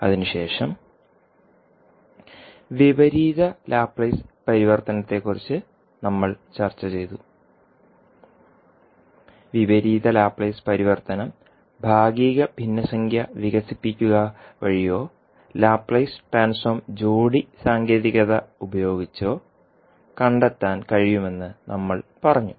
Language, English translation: Malayalam, Then we discussed the inverse Laplace transform and we said that the inverse Laplace transform can be found using partial fraction expansion or using Laplace transform pairs technique